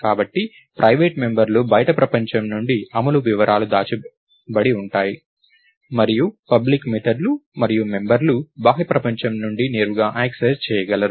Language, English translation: Telugu, So, private members are supposed to have implementation details that are hidden from the outside world, and public methods and members are directly accessible from the outside world